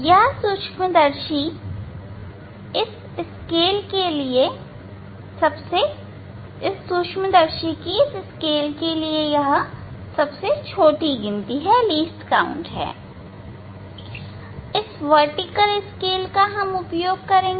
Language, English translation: Hindi, that is the least count for this microscope for this scale; vertical scale this scale only we will use